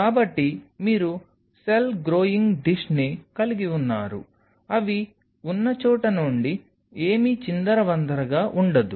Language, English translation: Telugu, So, you have cell growing dish out here from where they are won’t be anything will spill over